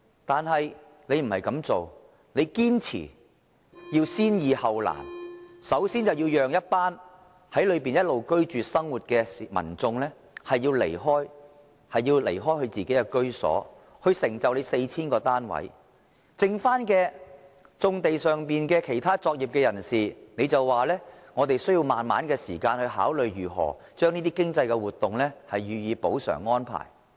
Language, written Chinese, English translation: Cantonese, 但是，它卻不是這樣做，它堅持要先易後難，首先要讓一群在當地一直生活的民眾離開自己的居所，來成就 4,000 個單位；對於餘下的棕地上作業的其他人士，它就說需要時間慢慢考慮如何將這些經濟活動予以補償安排。, Yet it does not do it in that way . It insists on the principle of resolving the simple issues before the difficult ones by requiring some people who have been living on another plot of land to leave their homes first in order to give way for the construction of merely 4 000 flats . As to the people working in the nearby brownfields it just argues that it needs time to consider the compensation arrangement for these economic activities